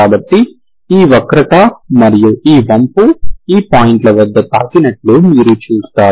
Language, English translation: Telugu, So you see that this curve and this curve is touching at these points, okay